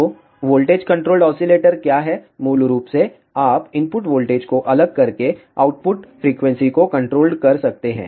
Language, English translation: Hindi, So, what is voltage controlled oscillator basically you can control the output frequency by varying the input voltage